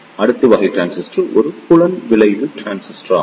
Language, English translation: Tamil, The next type of transistor is a Field Effect Transistor